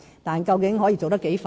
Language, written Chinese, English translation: Cantonese, 但是，究竟可以做得多快？, But how fast can we proceed with this task?